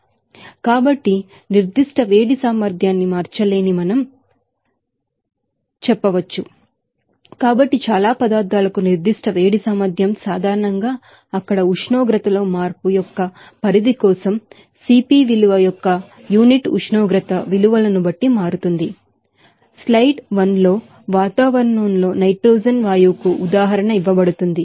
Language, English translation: Telugu, So, we can say that specific heat capacity cannot be changed it will be constant here so specific heat capacity for most substances generally varies with unit temperature values of CP value for the range of change in temperature there so, example is given for nitrogen gas at 1 atmosphere in the slides